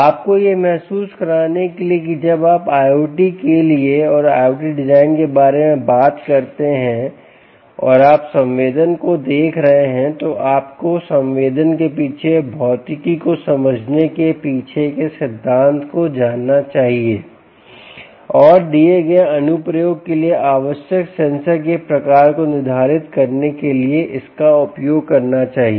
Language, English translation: Hindi, to give you a feel that when you talk about i o t and design for i o ts and you are looking at sensing, you must know the principle behind sensing, the physics behind the sensing, and use this together to determine the kind of sensor required for a given application